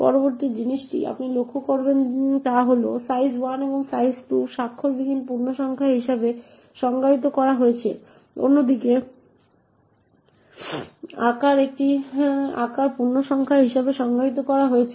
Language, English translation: Bengali, The next thing you would notice is that size 1 and size 2 is defined as unsigned integers while on the other hand size is defined as a size integer